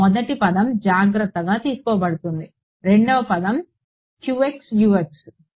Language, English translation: Telugu, First term is taken care of; Second term was qx Ux